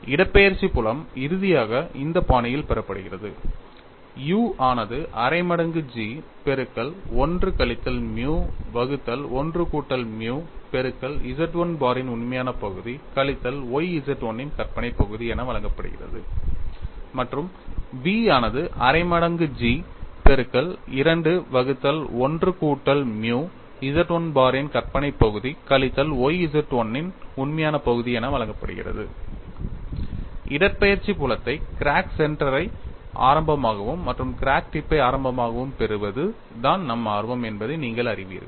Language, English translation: Tamil, So, the displacement field is finally obtained in this fashion, u is given as 1 by 2 G of 1 minus nu divided by 1 plus nu multiplied by real part of Z 1 bar minus y imaginary part of Z 1, and v is given as 1 by 2 G of 2 by 1 plus nu imaginary part of Z 1 bar minus y real part of Z 1